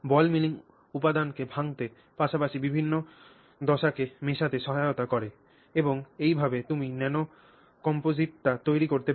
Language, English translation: Bengali, Ball milling will help you break down the particles as well as mix different phases and that is how you can create the nano composite first of all with the ball mill